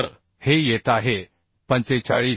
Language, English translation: Marathi, 25 so this is coming 45